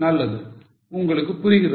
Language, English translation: Tamil, Fine, you are getting it